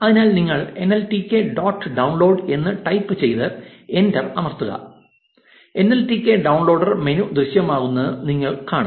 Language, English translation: Malayalam, So, you just type nltk dot download and press enter and you will see this nltk downloader menu appear now type d and press enter